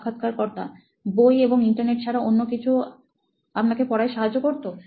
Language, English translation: Bengali, Anything else other than books and the Internet to help you learn